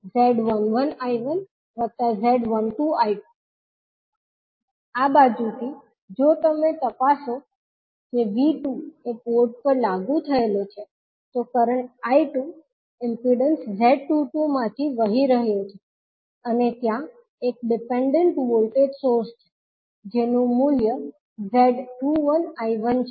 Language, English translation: Gujarati, From this side, if you check that V2 is applied across the port, current I2 is flowing across the through the impedance Z22 and there is a dependent voltage source having value Z21 I1